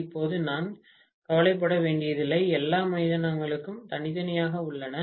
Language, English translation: Tamil, Now, I do not have to worry, all the grounds are separate, right